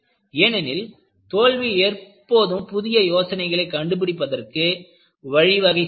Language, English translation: Tamil, Because, failure has always been a method for inventing new ideas